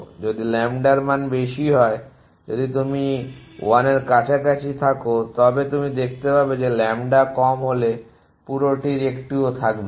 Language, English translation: Bengali, If lambda is high if it is close to 1 then you can see that none of the whole will remain if lambda is low